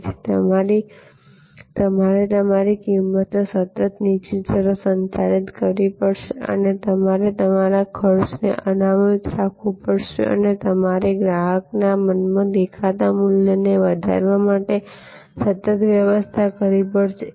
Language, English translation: Gujarati, So, you have to manage your cost constantly downwards and you have to reserve your costs and you have to constantly manage for enhancing the perceived value in the mind of the customer